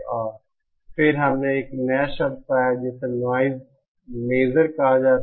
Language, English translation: Hindi, And then we found out a new term called noise measure